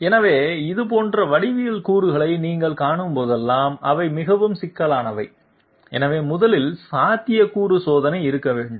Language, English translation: Tamil, So whenever you come across such geometry elements which are extremely complex, so first of all there has to be a feasibility check